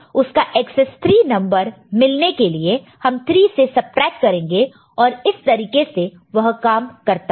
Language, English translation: Hindi, To get XS 3 we have to subtract 3 from it and that is how it will